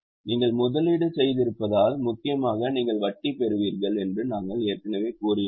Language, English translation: Tamil, We have already discussed this, that you receive interest mainly because you have made investment